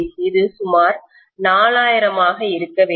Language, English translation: Tamil, That is supposed to be about 4000